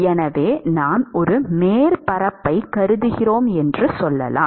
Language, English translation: Tamil, So, let us say we consider a surface